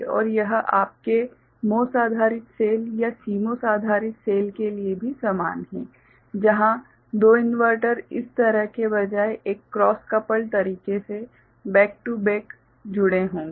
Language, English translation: Hindi, And this is similar for your MOS based cell or CMOS based cell also where 2 inverters will be connected back to back in a cross coupled manner rather, like this